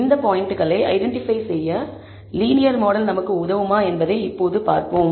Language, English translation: Tamil, Now let us see if our linear model will help us to identify these points